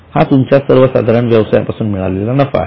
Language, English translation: Marathi, Now this is a profit from your normal business